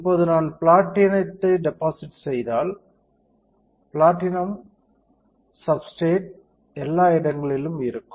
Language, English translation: Tamil, Now, if I deposit platinum, platinum will be everywhere on the substrate